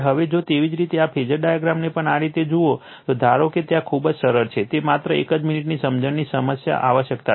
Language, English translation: Gujarati, Now, if you look in to this phasor diagram, suppose there is there is very simple it is just a minute only understanding you require